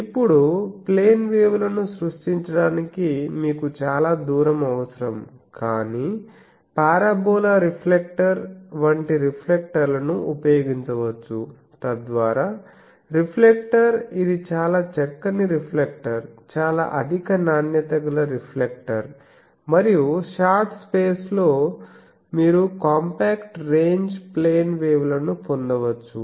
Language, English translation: Telugu, Now to create plane waves you would require a lot a lot of distance, but you can use reflectors like our parabola reflector, so that reflector very fine reflector very high quality reflector and in a short space you can put plane waves those are called compact ranges